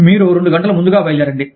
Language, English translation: Telugu, You leave two hours early